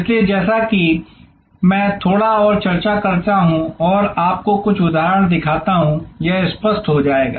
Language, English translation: Hindi, So, as I discuss a little bit more and show you some example, this will become clear